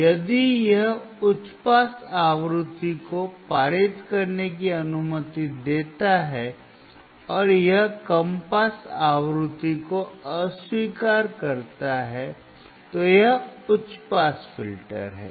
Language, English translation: Hindi, If it allows high pass frequency to pass, and it rejects low pass frequency, it is high pass filter